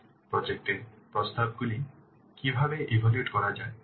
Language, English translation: Bengali, So how to evaluate the project proposals